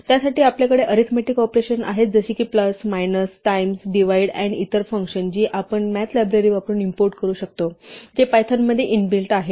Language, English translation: Marathi, And for these, we had arithmetic operations such as plus, minus, times, divide and also other functions which we can import using the math library, which is built into python